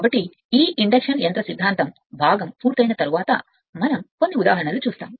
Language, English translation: Telugu, So, with this induction machine theory part is complete next we will see few examples